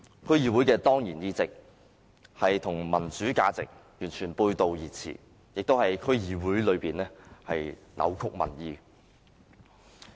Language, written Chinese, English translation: Cantonese, 區議會的當然議席與民主價值完全背道而馳，亦在議會內扭曲民意。, Ex - officio seats in DCs run counter to values of democracy and distort public opinion in the councils